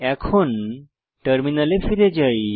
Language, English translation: Bengali, Then switch to the terminal